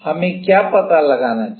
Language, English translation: Hindi, What do we need to find out